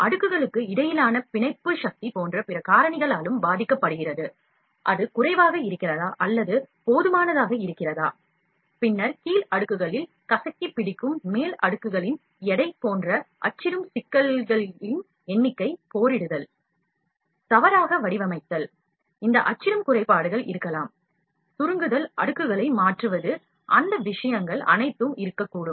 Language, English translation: Tamil, The precision and smoothness of the printed models is also influenced by the other factors such as bonding force between the layers, is it lower or is it adequate, then the weight of the upper layers that squeeze upon the lower layers the number of printing problems like, warping, misalignment, these printing defects might be there; shrinking, shifting of layers, all those things could be there